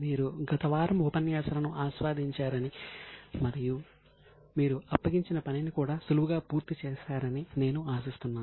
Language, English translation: Telugu, I hope you have enjoyed the last week sessions and you are also able to comfortably complete the assignment